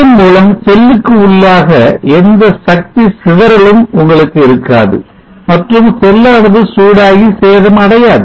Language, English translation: Tamil, Thereby you will not have any power dissipation within the cell and the cell would not get hot and detariate